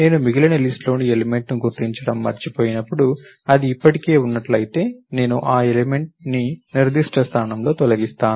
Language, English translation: Telugu, When I forget to locate the element in the rest of the list, if it is already there, then I delete that element at a particular position